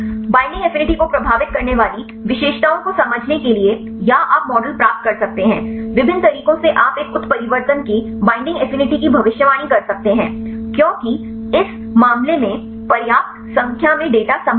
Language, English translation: Hindi, To understand the features which affect the binding affinity or you can derive models, different methods you can derive to predict the binding affinity of one mutation because sufficient number of data in this case it is possible